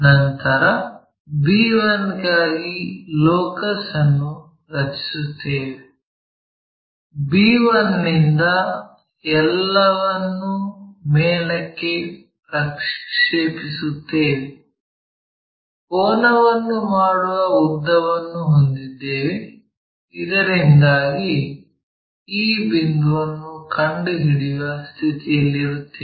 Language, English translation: Kannada, After, that we draw locus for b 1, from b 1 project it all the way up, whatever this length we have it from there make a angle, so that we will be in a position to locate this point